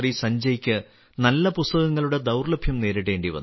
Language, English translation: Malayalam, In his student life, Sanjay ji had to face the paucity of good books